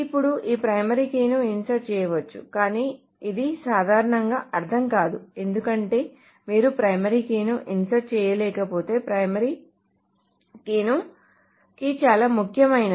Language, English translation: Telugu, Now this primary key may be inserted but this generally doesn't make any sense because if you cannot just insert a primary key